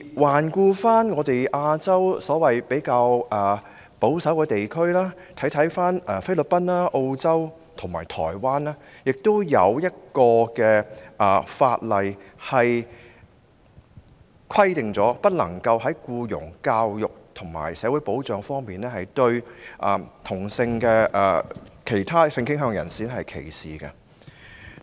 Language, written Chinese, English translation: Cantonese, 環顧亞洲所謂較保守的地區，例如菲律賓、澳洲和台灣，當地亦已制定法例規定不能夠在僱傭、教育和社會保障方面歧視同性戀或其他性傾向人士。, If we look around Asia we will notice that even those places which are regarded as conservative such as the Philippines Australia and Taiwan have long since passed various laws to prohibit discrimination against homosexuals or people with different sexual orientations in respect of employment education and social security